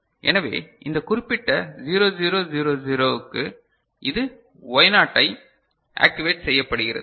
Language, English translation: Tamil, So, this for this particular 0 0 0 0 this is getting activated Y0 right